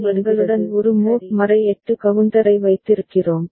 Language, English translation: Tamil, So, we are then having a mod 8 counter with us